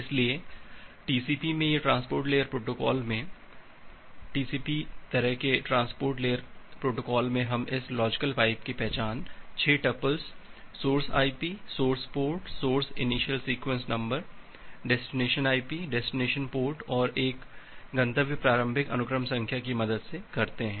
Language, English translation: Hindi, So, in TCP or in transport layer protocol, TCP kind of transport layer protocol we identify this logical pipe with the help of this 6 tuples, the source IP, the source port, the source initial sequence number, the destination IP, the destination port and a destination initial sequence number